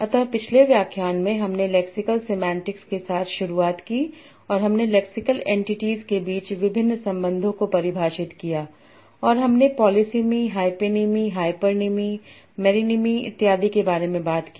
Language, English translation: Hindi, So in the last lecture we started with Lexa Semantics and we defined various relations between Lexington and we talked about polysamy, hyponymy, hyponymy, and so on